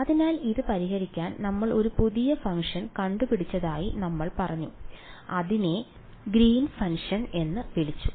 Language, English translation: Malayalam, So, to solve this we said we invented one new function we called it the Green’s function right